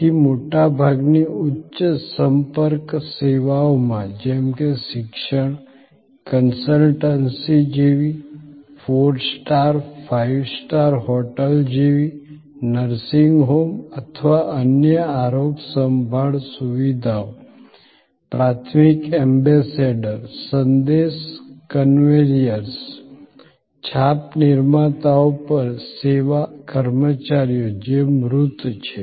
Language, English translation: Gujarati, So, in most high contact services, like education, like consultancy, like a four star, five star hotel, like a nursing home or other health care facilities, the service personnel at the primary ambassadors, message conveyors, impression creators, which tangibles the intangible which is the service experience